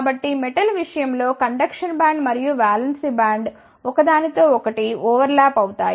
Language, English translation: Telugu, So, in case of metals the conduction band and the valence band, overlap with each other